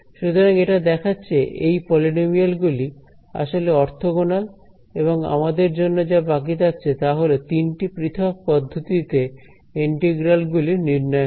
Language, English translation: Bengali, So, this shows us that these our polynomials are indeed orthogonal and what remains for us to do is to evaluate this integral using let us say three different methods